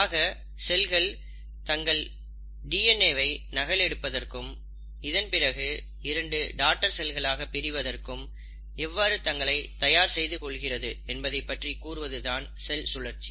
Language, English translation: Tamil, So cell cycle basically talks about how a cell prepares itself to duplicate its DNA and then, to divide into two daughter cells